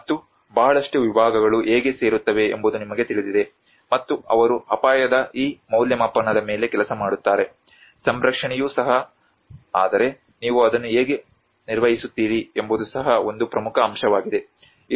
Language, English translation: Kannada, \ \ And you know that is how a lot of disciplines come together and they work on this assessment of the risk as well, also the conservation but how you manage it is also an important aspect